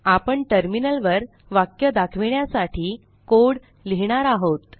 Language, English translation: Marathi, We will now write a code to display a line on the Terminal